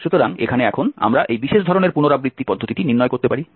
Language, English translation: Bengali, So here now we can derive this particular type of iteration method